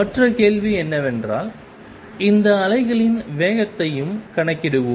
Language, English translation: Tamil, The other question is let us also calculate the speed of these waves